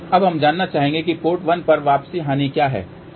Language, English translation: Hindi, Now, we would like to know what is the return loss at port 1, ok